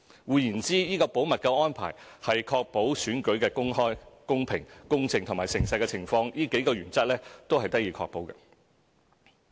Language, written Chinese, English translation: Cantonese, 換言之，這個保密安排是使選舉的公開、公平、公正和誠實這數項原則得以確保。, In other words the confidentiality arrangement is provided to ensure that all elections will be conducted in accordance with the principles of openness equity fairness and honesty